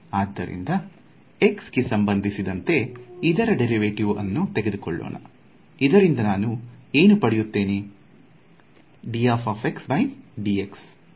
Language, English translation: Kannada, So, let us take the derivative of this with respect to x what will I get